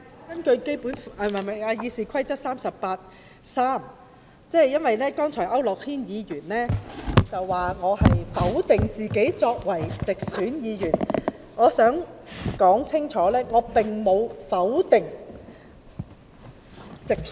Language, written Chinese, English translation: Cantonese, 我根據《議事規則》第383條作出澄清，因為區諾軒議員剛才指我否定自己作為直選議員的價值。, I make an elucidation under Rule 383 of the Rules of Procedure because Mr AU Nok - hin said just now that I had denied my own worth as a directly - elected Member